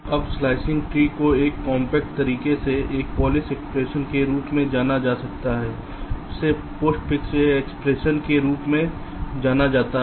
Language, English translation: Hindi, now a slicing tree can be represented in a compact way by a, some something call a polish expression, also known as a postfix expression